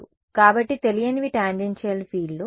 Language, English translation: Telugu, One the boundary right; so, unknowns were tangential fields